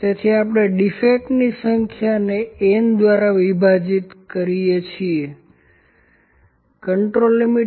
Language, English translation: Gujarati, So, we divide just it the number of defects by n